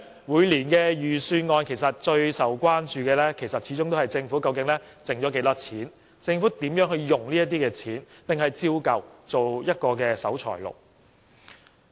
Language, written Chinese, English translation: Cantonese, 每年預算案最受關注的始終是政府的盈餘是多少，以及政府如何運用這些盈餘，抑或依舊做一個守財奴。, Each year the prime concern about the budget is the amount of fiscal surplus and how the Government is going to use the surplus or whether it will remain a miser